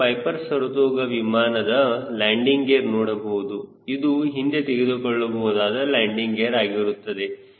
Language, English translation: Kannada, you can see the landing gear of piper saratoga aircraft, which is the retractable landing gear